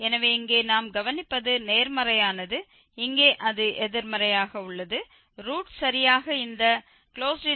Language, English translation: Tamil, So, what we observe here it is positive, here it is negative so, the root lies between exactly this interval 0 and 0